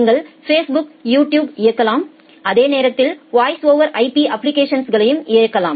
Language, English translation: Tamil, You can run Facebook, you can run YouTube and at the same time you can run voice over IP applications